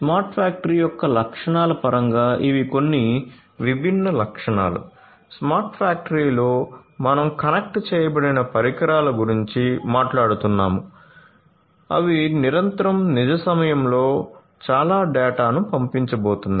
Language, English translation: Telugu, So, in terms of the features of a smart factory these are the some of these different features, you know in a smart factory we are talking about connected devices which are going to sent lot of data in real time continuously